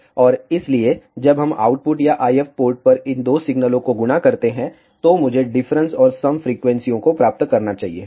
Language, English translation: Hindi, And hence, when we multiply these two signals at the output or the IF port, I should get the difference and the sum frequencies